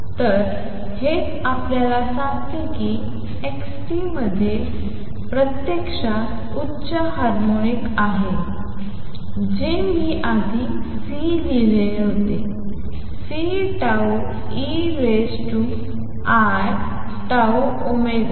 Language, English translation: Marathi, So, this is what tells you that x t actually has higher harmonic, also which I wrote earlier C; C tau e raise to i tau omega